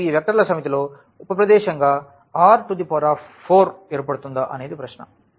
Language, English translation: Telugu, So, now, the question is whether this set the set of these vectors form a subspace in R 4